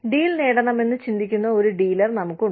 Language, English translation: Malayalam, So, and we have the dealer, who thinks, who needs to get the deal